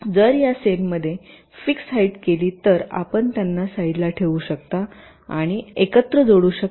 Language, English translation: Marathi, why, if this cells have fixed heights, you can put them side by side and joint them together